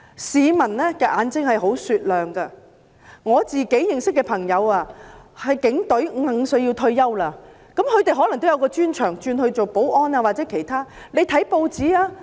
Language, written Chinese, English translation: Cantonese, 市民的眼睛十分雪亮，我認識的警隊朋友要在55歲退休，具備專長的可以轉任保安或其他工作。, Peoples eyes are discerning . Some friends of mine serving in the Police have to retire at the age of 55 . Those who possess expertise can switch to undertaking security or other jobs